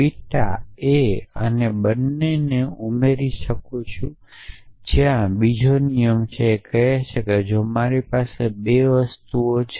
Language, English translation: Gujarati, Therefore, I can beta becomes a and I can add a there is a another rule which says that if I have 2 things